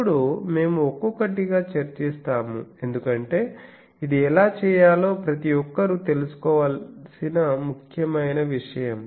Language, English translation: Telugu, Now, we will discuss one by them because this is an very important thing everyone should know how to do it